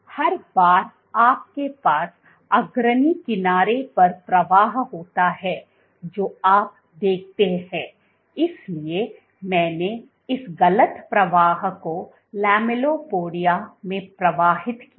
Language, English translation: Hindi, So, every time you have the flow at the leading edge what you see is, so I drew this wrong the flow in the lamellipodia